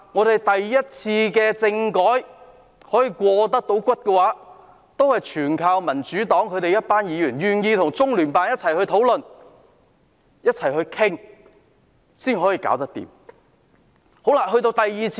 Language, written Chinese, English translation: Cantonese, 第一次香港政改可以成功，也有賴民主黨一眾議員願意與中央人民政府駐香港特別行政區聯絡辦公室討論。, The success of the first constitutional reform of Hong Kong hinged on the willingness of the Members of the Democratic Party to discuss with the Liaison Office of the Central Peoples Government in the Hong Kong Special Administrative Region